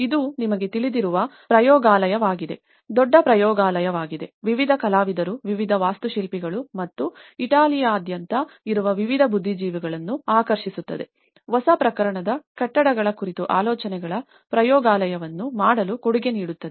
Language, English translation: Kannada, It becomes a laboratory you know, a big laboratory, attracting various artists, various architects and various intellectuals coming from all over the Italy to contribute to make a laboratory of ideas on new forms of building